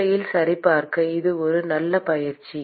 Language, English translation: Tamil, And in fact, it is a good exercise to check